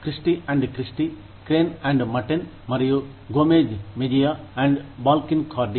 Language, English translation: Telugu, Christy & Christy, Crane & Matten, and Gomez Mejia & Balkin & Cardy